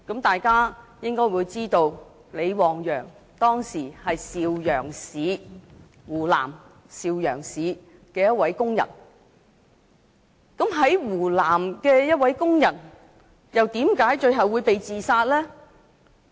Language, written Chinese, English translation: Cantonese, 大家應該知道，李旺陽當時是湖南邵陽市的一名工人，在湖南的一名工人為何最後會被自殺？, Members would be aware that LI Wangyang was a worker in Shaoyang Hunan Province; and why was a Hunan worker being suicided eventually?